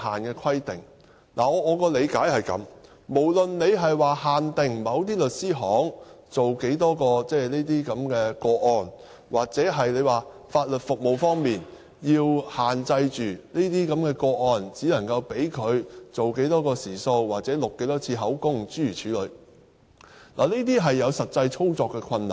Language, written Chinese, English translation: Cantonese, 我的理解是這樣的，無論是限定某些律師行處理多少宗個案，又或是在法律服務方面，限制處理這些個案時只能用多少個時數、錄多少次口供等，這些也會有實際操作的困難。, My understanding is that no matter a cap is set on the maximum number of cases to be handled by a law firm or to restrict the provision of legal service by setting a the maximum man hours on each case or the maximum number of statements to be taken there will be practical difficulties . The reason is that with familiarity you learn the trick or practice makes perfect